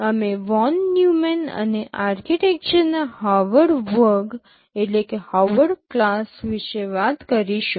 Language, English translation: Gujarati, We talk about Von Neumann and Harvard class of architectures